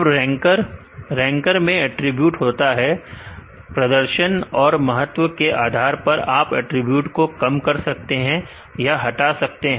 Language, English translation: Hindi, Now, the ranker has ranker have the attributes, based on the importance for the performance based on this you can reduce some of the remove some of the attributes